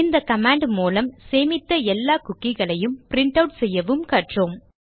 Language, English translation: Tamil, Using this command here, we also learnt how to print out every cookie that we had stored